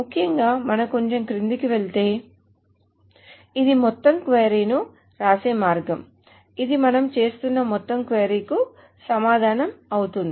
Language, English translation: Telugu, So essentially if we go down a little bit, this is a way to write down the entire query